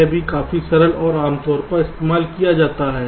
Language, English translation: Hindi, this is also quite simple and commonly used